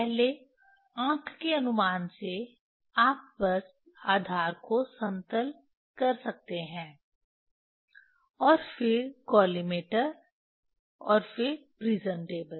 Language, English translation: Hindi, first from eye estimation, this this you can you can just make leveling the base, and then collimator, and then the prism table